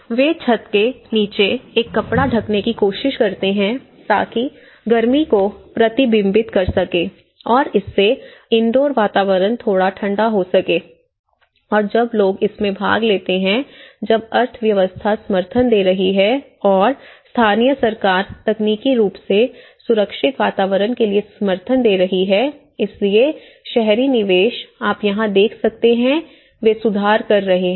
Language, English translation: Hindi, So, they try to cover a cloth under the roof so that it can you know reflect the heat and it can make the indoor environment a little cooler and when people are participant in this, when the economy is giving support and the local government is technically giving support for a safer environments, so that is where you know the urban investments what you can see here today is they are improving